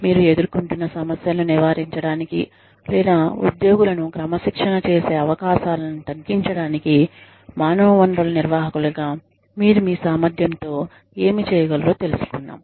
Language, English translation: Telugu, And, we will end with, what you can do in your capacity as human resources managers, to avoid, the problems that you encounter, or to minimize the chances of disciplining employees